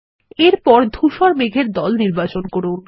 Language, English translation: Bengali, Select the white cloud group